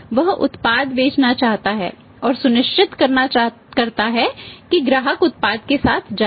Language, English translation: Hindi, He want to sell the product make sure that customer goes with the product